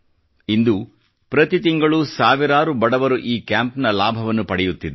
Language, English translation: Kannada, Every month, hundreds of poor patients are benefitting from these camps